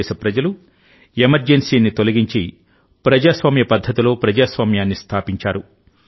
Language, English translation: Telugu, The people of India got rid of the emergency and reestablished democracy in a democratic way